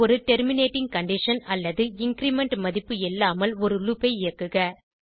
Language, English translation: Tamil, Run a loop without a terminating condition or increment value